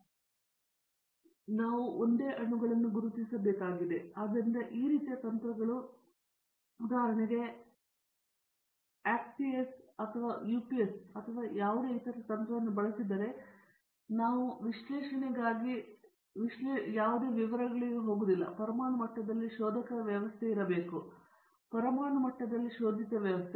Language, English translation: Kannada, We have single atoms have to be identified, so these types of techniques that are available today for example, XPS or UPS or any other technique, we will not go into all the details that is any the analysis must be the probing system also atomic level, the probed system also at atomic level